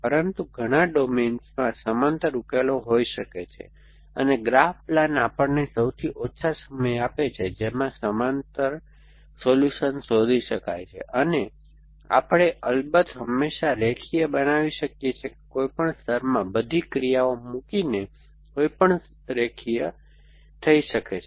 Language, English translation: Gujarati, But, many domains may have parallel solutions and what graph plan does give us is the shortest time in which a parallel solution can be found and we can of course always linearise that by putting all the actions in any layer can be linearise in any